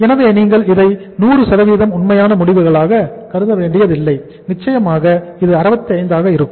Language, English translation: Tamil, So you do not consider it as a 100% true results that the certainly it is going to be 65